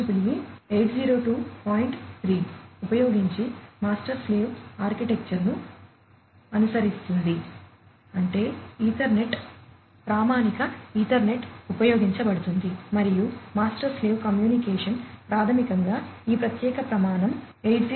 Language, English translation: Telugu, 3; that means, the Ethernet, the standard Ethernet is used and the master slave communication basically follows this particular standard 802